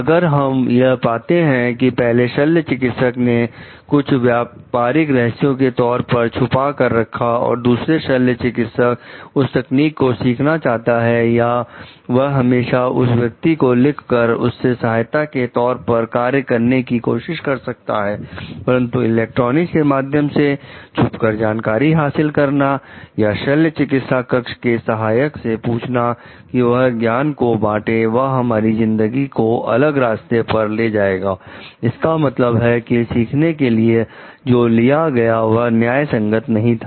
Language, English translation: Hindi, If we find like the first surgeon has to reserve something as the trade secret and, also the second surgeon is trying to learn about that technique he or she can always maybe write to that person try to assist that person, but taking our life different route in the kinds of electronic eavesdropping, or asking the operating room assistant to share that knowledge the means taken for learning here is not something which is justified